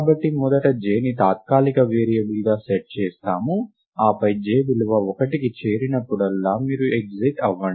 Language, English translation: Telugu, We set first j to be a temporary variable right, and then if j whenever j takes the value one you exit right